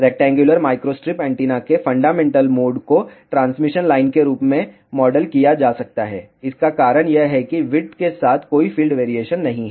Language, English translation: Hindi, The fundamental mode of rectangular microstrip antenna can be modeled as transmission line, reason for that is there is a no field variation along the width